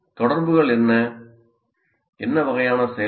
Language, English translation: Tamil, So what are the interactions, what kind of activity